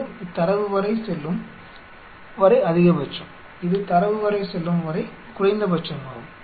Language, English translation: Tamil, This a maximum up to what the data goes up to, this is minimum up to what the data goes up to